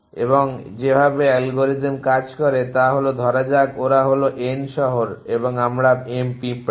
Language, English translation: Bengali, And the way that is algorithms works is follows that let they we N cities and let they we M ants